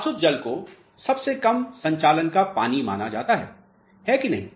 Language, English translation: Hindi, Distilled water is supposed to be least conducting water, is it not